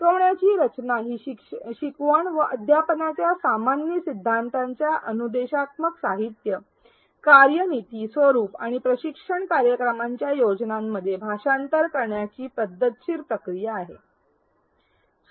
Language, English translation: Marathi, Instructional design is a systematic process of translating general principles of learning and teaching into plans for instructional materials, strategies, formats and the training programs